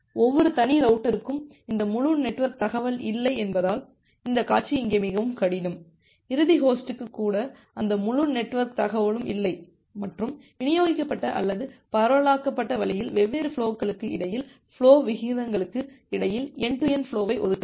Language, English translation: Tamil, The scenario is much more difficult here because every individual router do not have this entire network information, even the end host do not have that entire network information and a distributed or in a decentralized way you have to allocate the flows among flow rates among different end to end flows